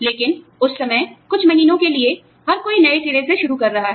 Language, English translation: Hindi, But, at that time, for a few months, you know, everybody is starting afresh